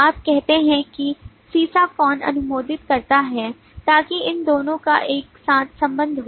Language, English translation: Hindi, you say lead who approves so that relates these two together